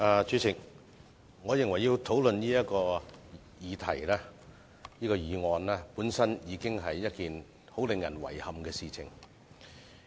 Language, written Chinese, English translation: Cantonese, 主席，我認為要討論這項議案，本身已經是一件令人遺憾的事情。, President I think it is already regrettable that we have to discuss this very motion